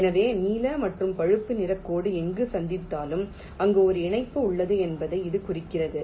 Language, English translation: Tamil, so wherever the blue and a brown line will meet, it implies that there is a via connection there